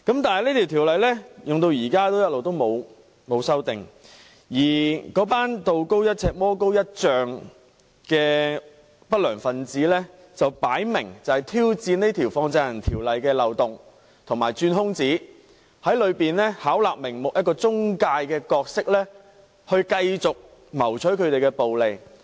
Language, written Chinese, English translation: Cantonese, 但是，《條例》落實至今一直沒有作出修訂，而那群道高一尺、魔高一丈的不良分子明顯在挑戰《條例》的漏洞及鑽空子，從中巧立名目，以中介的角色繼續謀取暴利。, However no amendment has been made since the implementation of the Ordinance . Meanwhile the undesirable elements who are much stronger than law - enforcers are apparently challenging the loopholes of the Ordinance and manipulating the gaps while continuing to seek excessive profits as intermediaries under all sorts of pretexts